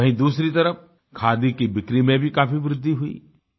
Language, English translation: Hindi, On the other hand, it led to a major rise in the sale of khadi